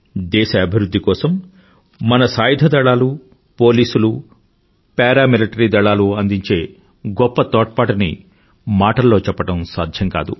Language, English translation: Telugu, One falls short of words in assessing the enormous contribution of our Armed Forces, Police and Para Military Forces in the strides of progress achieved by the country